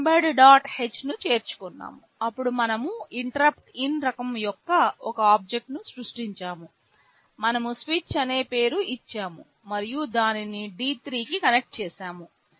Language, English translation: Telugu, h, then we have created an object of type InterruptIn, we have given the name switch, we have connected it to D3